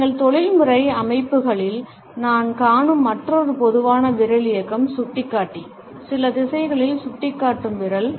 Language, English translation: Tamil, Another common finger movement, which we come across in our professional settings, is the pointer, the finger pointing at certain directions